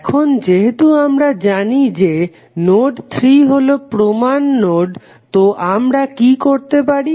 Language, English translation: Bengali, Now, since we know that node 3 is the reference node so what we can do